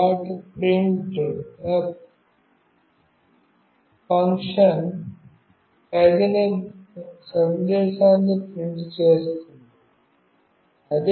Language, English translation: Telugu, printf function will print the appropriate message